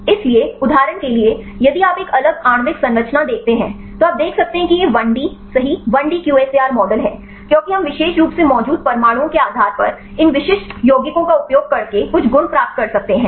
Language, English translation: Hindi, So, for example, if you see a different molecular structures right here you can see this is the you can see the 1D right the first 1D QSAR model because we can get some properties using these specific compounds right based on the atoms present in the particular compound